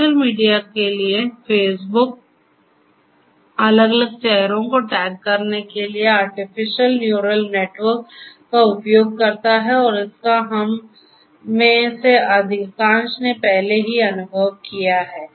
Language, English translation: Hindi, For social media, Facebook uses artificial neural network for tagging different faces and this is what most of us have already experienced